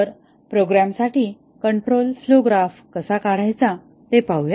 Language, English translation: Marathi, So, let us see how to draw a control flow graph for a program